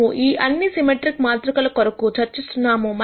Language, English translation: Telugu, We are discussing all of this for symmetric matrices